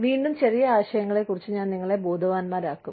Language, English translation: Malayalam, Again, you know, I will just make you aware, of the small concepts